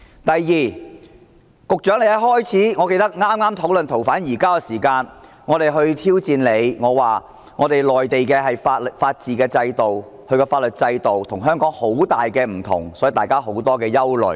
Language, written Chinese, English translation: Cantonese, 第二，我記得剛開始討論移交逃犯安排的時候，我們挑戰局長，表示內地的法治制度、法律制度跟香港很不相同，所以，大家有很大憂慮。, Second I remember that when we started discussing the arrangement for surrendering fugitive offenders we challenged the Secretary by saying that the system of upholding the rule of law and the legal system on the Mainland were very different from those in Hong Kong and therefore we were very worried